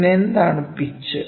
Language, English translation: Malayalam, So, what is pitch